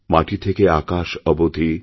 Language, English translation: Bengali, From the earth to the sky,